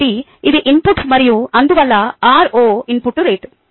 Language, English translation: Telugu, therefore its an input and therefore r naught is the input rate, ok